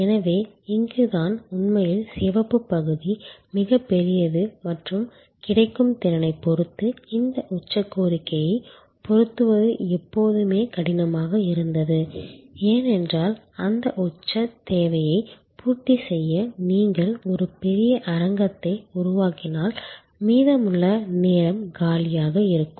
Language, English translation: Tamil, So, this is where actually the red part is much bigger and it was always difficult to match this peak demand with respect to capacity available, because if you created a huge stadium to meet that peak demand, rest of the time it will be lying vacant